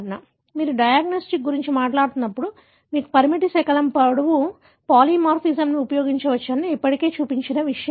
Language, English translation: Telugu, So, this is something that I have already shown when we were talking about diagnostics that you can use the restriction fragment length polymorphism